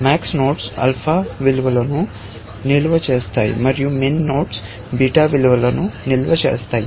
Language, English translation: Telugu, Max nodes store alpha values, and min nodes store beta values